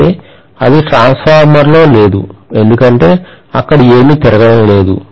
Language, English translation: Telugu, Whereas, that is absent in a transformer, because there is nothing rotating there